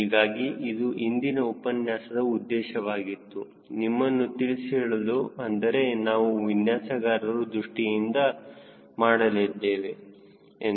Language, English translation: Kannada, so that is was the purpose of this lecture today, to warm you up, that now we are going to use this through a designers perspective